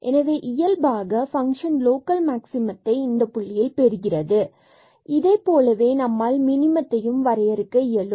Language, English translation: Tamil, So, naturally the function has attained local maximum at this point and similarly we can define for the minimum also